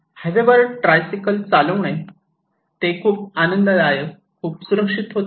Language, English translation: Marathi, So, tricycle on highway and that is very enjoyable, very safe